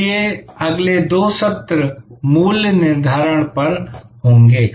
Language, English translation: Hindi, So, next two sessions will be on pricing